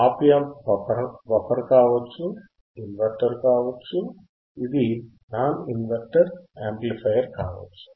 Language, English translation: Telugu, It can be buffer, it can be inverting, it can be non inverting amplifier